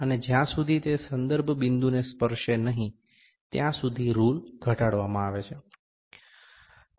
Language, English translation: Gujarati, And rule is lowered until it touches the reference point